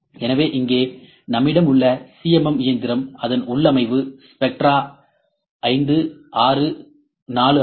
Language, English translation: Tamil, So, the CMM machine that we have here I will the configuration of that is it is spectra 5, 6, 4